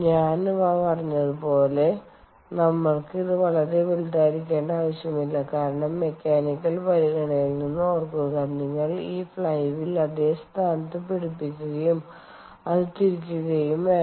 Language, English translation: Malayalam, as i said, we dont need it to be very bulky because, remember, from mechanical consideration, you also have to hold this flywheel in place, make it rotate, you have to think about bearings and so on